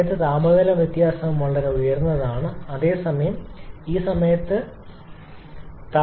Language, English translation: Malayalam, Then at this point the temperature difference is extremely high whereas at this point the temperature difference is quite low